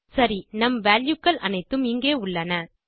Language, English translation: Tamil, So we have got all our values here